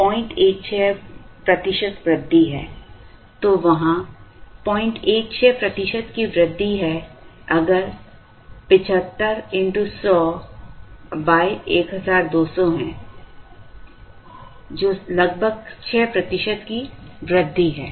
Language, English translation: Hindi, 16 percent increase if there is 75 by 1200 into 100, which is roughly about 6 percent increase